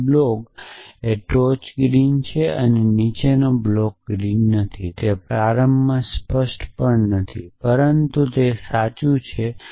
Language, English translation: Gujarati, So, that the block top is green that the block below is not green it is it is not even initially clear, but it is true